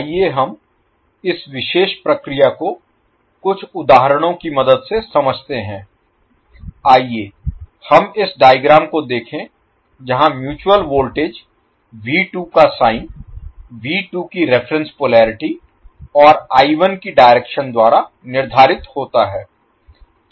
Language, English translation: Hindi, Let us understand this particular phenomena with the help of couple of examples let us see this particular figure where the sign of mutual voltage V2 is determine by the reference polarity for V2 and the direction of I1